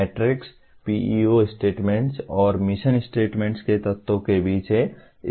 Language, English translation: Hindi, The matrix is between PEO statements and the elements of mission statements